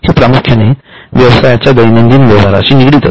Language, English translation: Marathi, So, mostly it relates to day to day transactions of the business